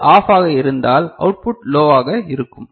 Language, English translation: Tamil, And if this is OFF the output will be low, is it clear right